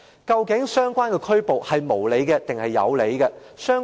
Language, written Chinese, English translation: Cantonese, 究竟相關的拘捕是無理還是有理？, Is his arrest reasonable or unreasonable?